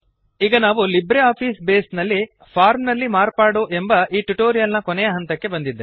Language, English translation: Kannada, This brings us to the end of this tutorial on Modifying a Form in LibreOffice Base